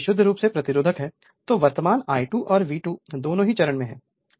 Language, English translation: Hindi, If it is purely resistive, then your current I 2 and V 2 both are in phase right